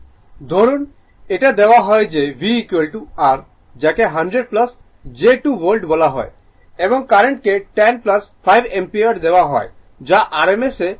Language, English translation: Bengali, Suppose, it is given that V is equal to your what you call 100 plus j 2 volt and current is given 10 plus j 5 ampere everything you taken in rms right